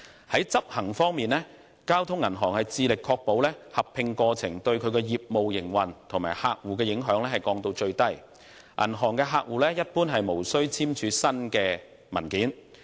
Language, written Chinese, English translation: Cantonese, 在執行方面，交通銀行致力將合併過程對其業務營運及客戶的影響降至最低，銀行客戶一般無須簽署新文件。, In respect of implementation Bank of Communications will strive to minimize the disruption to the operations of the Bank and the impact on customers in the process of the merger . Customers generally do not need to sign any new documentations